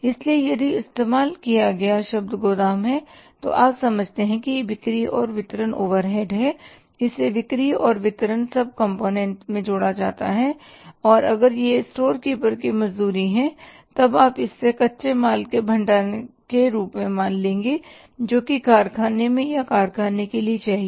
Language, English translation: Hindi, So, if the term used is warehouse you consider that it is a selling and distribution overhead and it has to be added in the selling and distribution sub component and if it is storekeeper wages then you have to consider it as a raw material storing part and that is required in the factory or for the factory